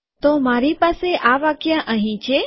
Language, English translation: Gujarati, So I have this statement here